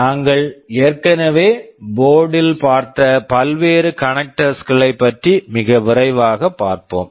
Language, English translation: Tamil, Let us have a very quick look at the different connectors that we have already seen in the board